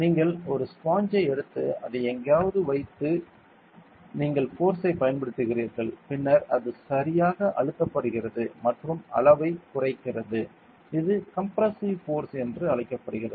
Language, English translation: Tamil, And you take a sponge is keep it somewhere and you apply force then it compresses right and it reduces the size this is called as compressive force ok